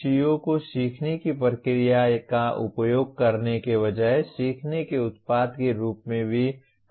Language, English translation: Hindi, The CO should also be stated as learning product rather than in terms of using the learning process